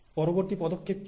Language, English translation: Bengali, And what is the next step